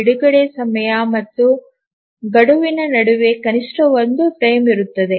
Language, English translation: Kannada, So, this is the release time and the deadline, there must exist at least one frame